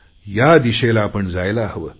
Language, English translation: Marathi, We should move in this direction